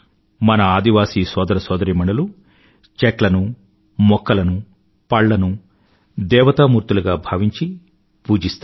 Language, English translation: Telugu, Our tribal brethren worship trees and plants and flowers like gods and goddesses